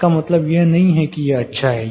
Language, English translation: Hindi, It does not mean this is good